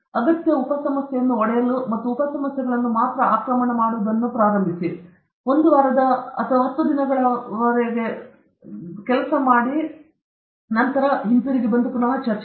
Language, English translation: Kannada, Breakup the problem into essential sub problems and start attacking only the sub problems or just give up for a week or ten days and then get back okay